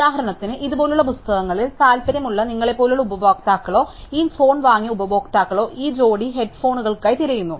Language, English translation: Malayalam, For example, it would say, the customers like you who were interested in books like these or customers who bought this phone also look for this pair of head phones